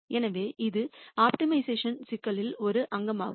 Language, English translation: Tamil, So, that is one component in an optimization problem